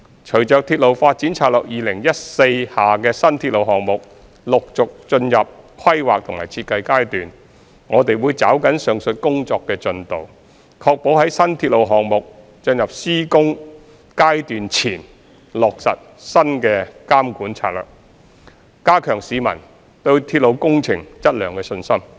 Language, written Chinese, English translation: Cantonese, 隨着《鐵路發展策略2014》下的新鐵路項目陸續進入規劃及設計階段，我們會抓緊上述工作的進度，確保在新鐵路項目進入施工階段前落實新監管策略，加強市民對鐵路工程質量的信心。, With the new railway projects under the Railway Development Strategy 2014 entering planning and design stage progressively we will expedite the progress of the above work to ensure that the new monitoring and control strategies would be implemented before the new railway projects enter the construction stage so as to enhance the publics confidence in the quality of railway projects